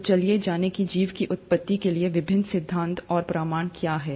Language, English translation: Hindi, So let’s go to what are the various theories and evidences for origin of life